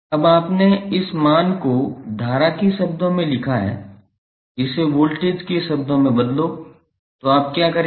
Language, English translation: Hindi, Now, you have written this value in terms of current converts them in terms of voltage, so what you will do